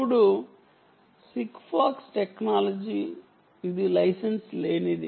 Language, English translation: Telugu, now, sigfox technology, this is unlicensed, right